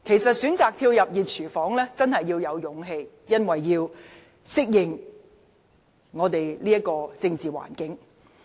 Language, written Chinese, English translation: Cantonese, 選擇跳入"熱廚房"真的需要勇氣，必須適應本港的政治環境。, It really takes courage to make a decision to enter the hot kitchen given the need to adapt to Hong Kongs political environment